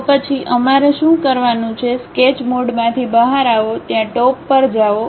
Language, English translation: Gujarati, Then what we have to do is, come out of Sketch mode, go there top